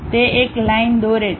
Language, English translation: Gujarati, It draws a line